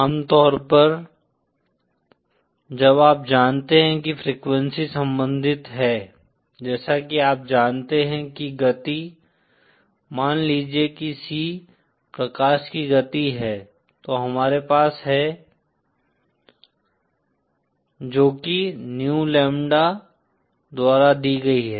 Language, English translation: Hindi, Usually as you know the frequency is related, as you know the speed of, suppose C is the speed of light then we have, that is given by new lambda